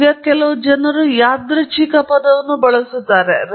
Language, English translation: Kannada, Now, of course, some people use the term random